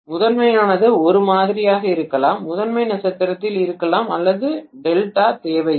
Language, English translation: Tamil, The primary probably is the same, the primary can be in star or delta doesn’t matter